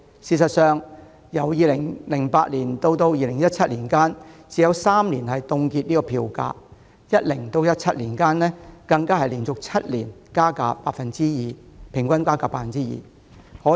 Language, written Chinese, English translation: Cantonese, 事實上，由2008年至2017年間，港鐵只有3年曾凍結票價；在2010年至2017年間更連續7年加價，平均加幅 2%， 可謂只加不減。, Indeed over the period between 2008 and 2017 MTRCL had frozen fares for only three years . Worse still fares were raised seven years in a row between 2010 and 2017 with the rates of increase averaging 2 % . It is no exaggeration to say that the mechanism allows only upward but not downward adjustments